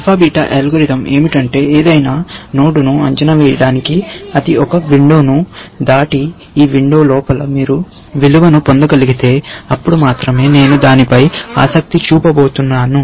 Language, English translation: Telugu, What the alpha beta algorithm does is that for evaluating any node, it passes a window and says, only if you can get me a value inside this window, I am going to be interested in that